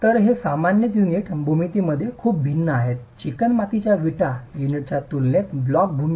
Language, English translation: Marathi, So, these are typically very different in unit geometry, the block geometry in comparison to the clay brick units